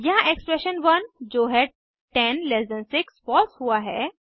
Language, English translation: Hindi, Here expression 1 that is 106 is true